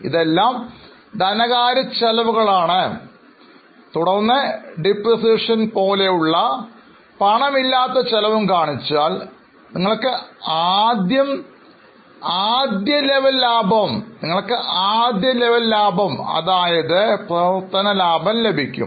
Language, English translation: Malayalam, You will also have finance costs, then non cash costs like depreciation, that give you the first level of profit which can be called as a operating profit